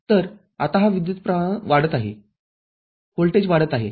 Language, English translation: Marathi, So, this is now the current is increasing, the voltage is getting increased